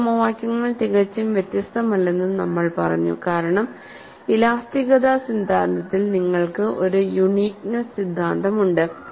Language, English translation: Malayalam, Then, we also said, those equations are not totally different, because in theory of elasticity, you have an uniqueness theorem, for one problem you will have one unique solution